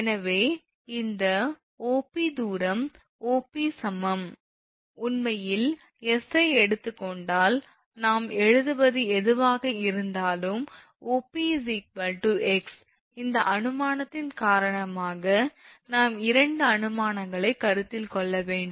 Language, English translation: Tamil, So, this distance this is your OP the distance is your OP is equal to actually this is if you take your s, it will be whatever we are writing that OP is equal to x because of this assumption because we have to just consider the two assumptions